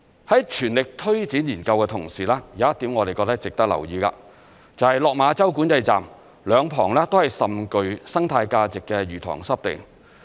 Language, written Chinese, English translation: Cantonese, 在全力推展研究的同時，有一點我們覺得值得留意的，就是落馬洲管制站兩旁都是甚具生態價值的魚塘濕地。, In the course of making every effort to promote research activities it should be noted that there are fishing ponds and wetlands of ecological value on both sides of the Lok Ma Chau Control Point